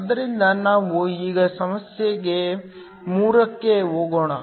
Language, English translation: Kannada, So, let us now go to problem 3